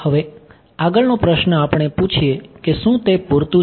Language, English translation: Gujarati, Now, the next question we will ask that is it good enough ok